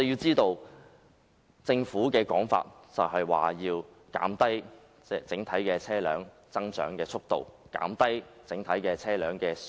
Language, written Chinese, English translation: Cantonese, 政府解釋，此舉是要減低整體車輛增長的速度，從而減低整體車輛的數目。, The Government explained that this arrangement sought to slow down the overall growth of the private car fleet so as to reduce the total number of vehicles